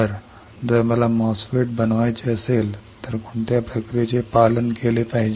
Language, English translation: Marathi, So, if I want to fabricate a MOSFET what should be the process followed